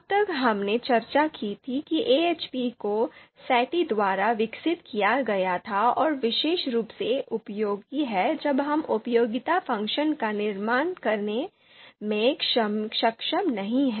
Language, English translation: Hindi, So as we discussed AHP was developed by Saaty and particularly useful when we are not able to construct the utility function